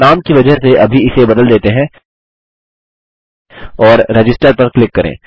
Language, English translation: Hindi, Lets just change this for namesake and click register